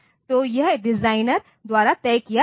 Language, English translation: Hindi, So, this is fixed by the designer